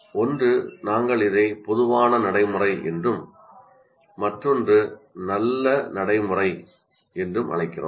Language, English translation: Tamil, One we call it common practice and the other one is good practice